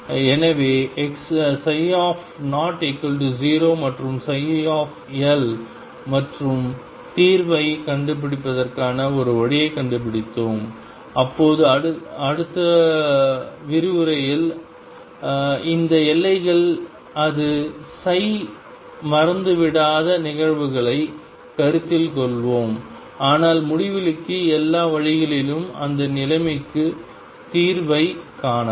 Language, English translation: Tamil, So, psi 0 is 0 and so is psi L and we found a way of finding the solution, we will now in the next lecture consider cases where psi it is not vanishes at these boundaries, but goes all the way to infinity out find solutions for those situation